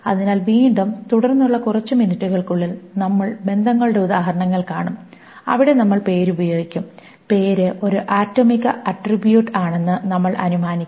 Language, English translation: Malayalam, We will see examples of relations where we will use the name and we will assume that the name is an atomic attribute